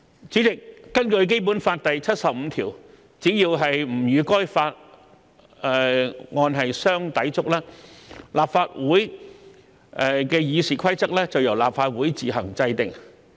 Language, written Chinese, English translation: Cantonese, 主席，根據《基本法》第七十五條，只要不與該法相抵觸，立法會《議事規則》由立法會自行制定。, President according to Article 75 of the Basic Law RoP of the Legislative Council shall be made by the Council on its own provided that they do not contravene that Law